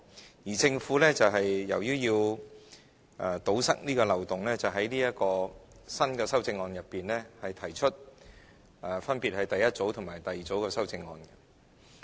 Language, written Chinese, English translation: Cantonese, 由於政府要堵塞這個漏洞，便在這項新的修正案中，分別提出第一組和第二組的修正案。, As a result the Government has to propose two groups of amendments to the new amendments in order to plug the loophole